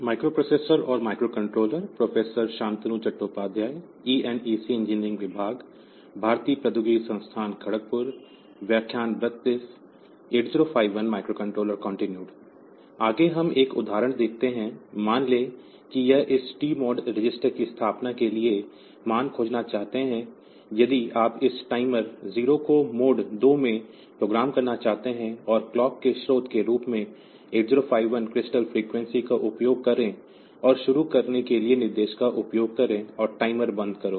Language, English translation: Hindi, Next we look into an example, suppose we want to find the value for setting of this TMOD register, if you want to program this timer 0 in mode 2 and use the 8051 crystal frequency as the clock source, and use the instructions to start and stop the timer